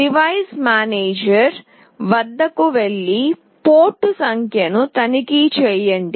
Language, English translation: Telugu, Go to device manager and check the port number